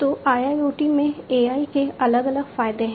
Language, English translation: Hindi, So, there are different advantages of AI in IIoT